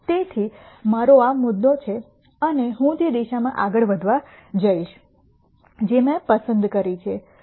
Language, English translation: Gujarati, So, I have this point and I am going to move in a direction that I have chosen